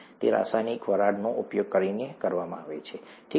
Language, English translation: Gujarati, It is done by using chemical vapours, okay